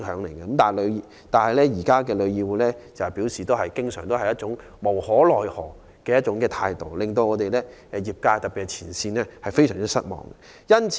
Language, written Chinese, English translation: Cantonese, 然而，旅議會卻經常擺出一副無可奈何的態度，令業界特別是前線員工非常失望。, Yet more often than not TIC adopts an attitude of helplessness . The trade particularly frontline staff is highly disappointed